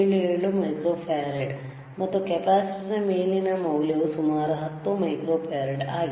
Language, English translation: Kannada, 77 microfarad, and the value on the capacitor is about 10 microfarad